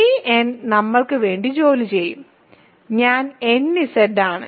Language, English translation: Malayalam, This n will do the job for us, I is nZ